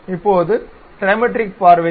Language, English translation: Tamil, Now, for the Trimetric view